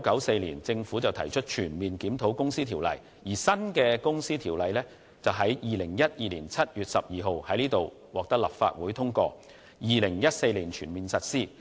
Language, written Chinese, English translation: Cantonese, 其後，政府在1994年全面檢討《公司條例》；而新《公司條例》則在2012年7月12日獲得立法會通過，並在2014年全面實施。, Thereafter the Government conducted an overall review of the Companies Ordinance in 1994 . The new Companies Ordinance was passed by the Legislative Council on 12 July 2012 and fully implemented in 2014